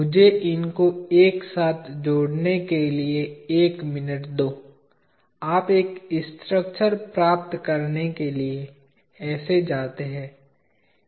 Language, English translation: Hindi, Give me a minute to join them together and there you go; you to get a structure